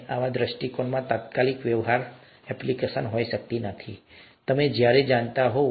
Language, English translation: Gujarati, And such a view may not have an immediate practical application, you never know